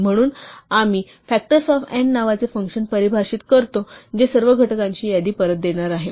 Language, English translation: Marathi, So, we define a function called factors of n which is going to give back a list of all the factors